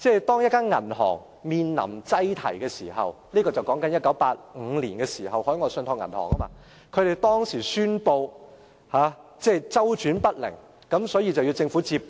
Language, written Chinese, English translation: Cantonese, 當一間銀行面臨擠提，說的是1985年海外信託銀行的情況，銀行當時宣布周轉不靈，所以要交由政府接管......, When a bank faces a bank run and I am referring to the case of OTB in 1985 where the bank had announced liquidity troubles and would be taken over by the Government